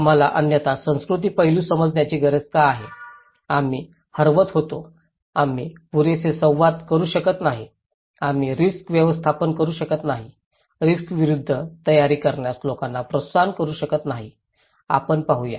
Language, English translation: Marathi, Why we need to understand the cultural aspect otherwise, we were missing, we cannot communicate enough, we cannot manage risk enough, we cannot encourage people to prepare against risk, let us look